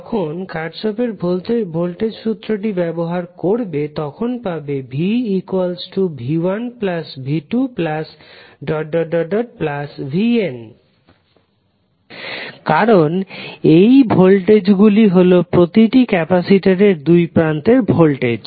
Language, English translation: Bengali, So when apply Kirchhoff’s Voltage law, you get V is nothing but V1 plus V2 and so on upto Vn because these voltages are the voltage across the individual capacitors